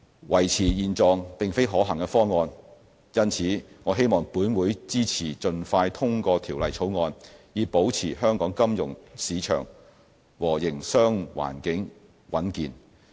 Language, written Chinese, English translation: Cantonese, 維持現狀並非可行方案，因此我希望立法會支持盡快通過《條例草案》，以保持香港金融市場和營商環境穩健。, To maintain the status quo is not a feasible option so I hope that the Legislative Council will expeditiously pass the Bill so as to maintain the stability and soundness of the financial market and business environment of Hong Kong